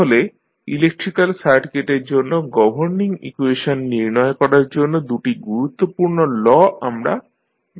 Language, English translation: Bengali, So, these were the two major laws which we used in finding out the governing equations for the electrical circuits